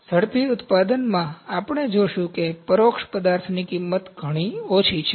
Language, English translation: Gujarati, In rapid manufacturing, we will see cost for indirect material is very less